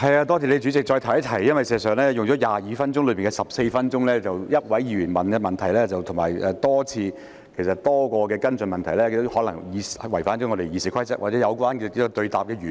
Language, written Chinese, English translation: Cantonese, 代理主席，我想再提一提，事實上，如果用了22分鐘內的14分鐘，只有一位議員提問，而且提出多項的跟進問題，這可能已違反《議事規則》或偏離質詢的原意。, Deputy President I wish to bring up the point that if out of 22 minutes 14 minutes are spent already with only one Member asking a question plus a number of follow - up questions this may have breached the Rules of Procedure or digressed from the original intention of the question